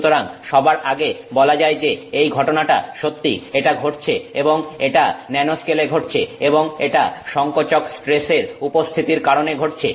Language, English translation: Bengali, So, first of all that this phenomenon is true, it is happening and it is happening in the nanoscale and that it is happening due to the presence of compressive stresses